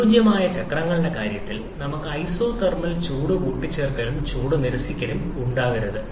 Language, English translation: Malayalam, And in case of ideal cycles, we cannot have isothermal heat addition and heat rejection